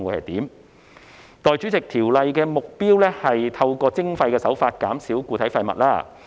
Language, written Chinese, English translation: Cantonese, 代理主席，《條例草案》的目標是透過徵費減少固體廢物。, Deputy President the Bill seeks to reduce solid waste through charging a fee